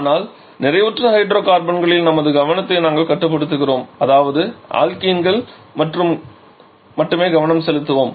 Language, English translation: Tamil, But we shall be restricting our focus on the saturated hydrocarbon that is we shall be focusing only on the alkenes